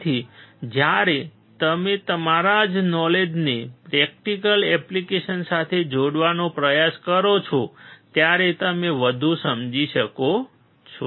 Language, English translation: Gujarati, So, when you try to correlate your knowledge with a practical applications, you will understand more